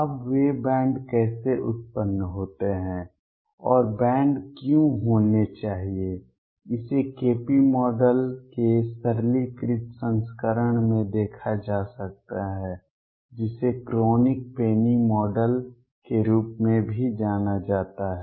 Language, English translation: Hindi, Now, how those bands arise and why should there be bands can be seen in a simplified version of KP model which is also known as a Kronig Penny model